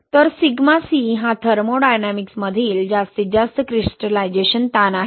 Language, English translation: Marathi, So the Sigma C is the maximum crystallization stress from thermodynamics, right